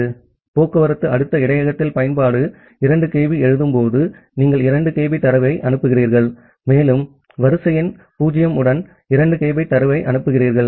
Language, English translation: Tamil, When the application does a 2 kB write at the transport layer buffer, so, you send 2 kB of data and you are sending a 2 kB of data with sequence number 0